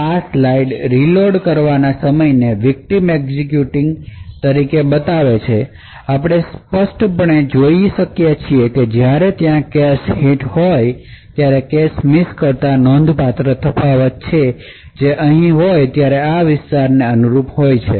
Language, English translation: Gujarati, This particular slide show the reload time as the vitamins executing, we can clearly see that there is significant difference when there is a cache hit which is corresponding to these areas over here when there is a cache miss